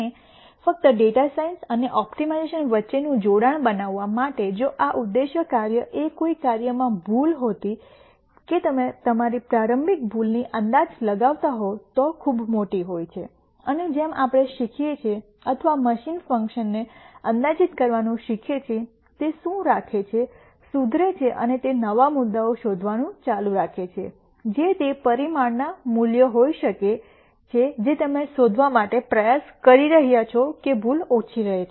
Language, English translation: Gujarati, And just to make the connection between data science and optimization if this objective function were an error in some function that you are approximat ing your initial error is very large and as we learn or as the machine learns to approximate the function, what it does it keeps improving and it keeps nding out new points which could be the parameter values that that you are trying to nd out such that the error keeps decreasing